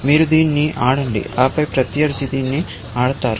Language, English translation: Telugu, You play this and then, the opponent plays this